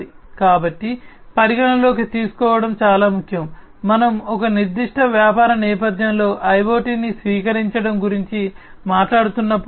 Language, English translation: Telugu, So, this is very important for consideration, when we are talking about the adoption of IoT in a particular business setting